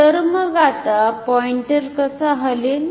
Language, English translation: Marathi, So, then how will the pointer move